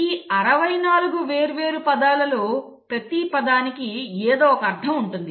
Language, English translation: Telugu, You have 64 different words, each word meaning something